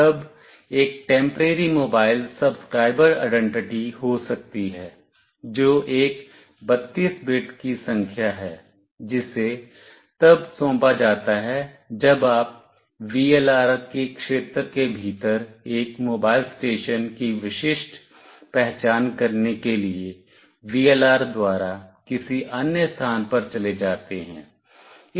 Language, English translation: Hindi, Then there could be a Temporary Mobile Subscriber Identity, which is a 32 bit number that is assigned when you move to some other location by VLR to uniquely identify a mobile station within a VLR’s region